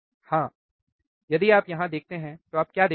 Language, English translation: Hindi, Yeah so, if you see here, right what do you see